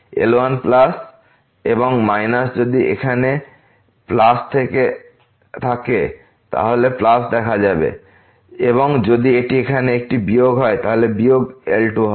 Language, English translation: Bengali, plus and minus if it is a plus there here plus will appear; if it is a minus here, then minus will come